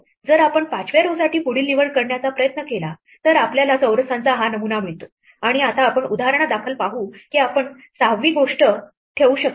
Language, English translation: Marathi, If we try the next choice for the 5th row then we get this pattern of squares and now we see for example, that we cannot put a 6th thing